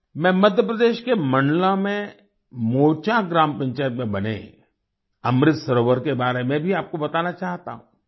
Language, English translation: Hindi, I also want to tell you about the Amrit Sarovar built in Mocha Gram Panchayat in Mandla, Madhya Pradesh